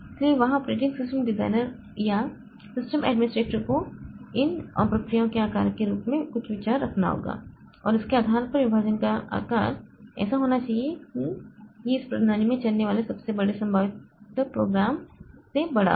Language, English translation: Hindi, So, there the operating system designer or the system administrator has to have some idea about the sizes of these processes and based on that the partition size should be such that it is larger than the largest possible program that can run in this system